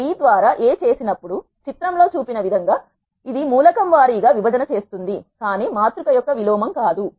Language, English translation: Telugu, Now, if I do A by B what it does is element wise division, but not the inverse of a matrix